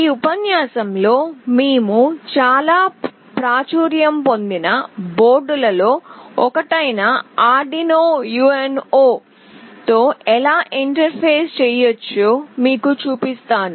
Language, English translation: Telugu, In this lecture I will be showing you how we can Interface with Arduino UNO, one of the very popular boards